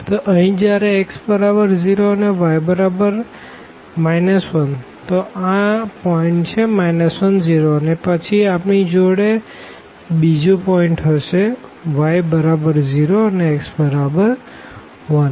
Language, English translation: Gujarati, So, here when x is 0 y is minus 1 so, this is the point minus 1 0 and then we can have another point for instance here 1 y is 0 x is 1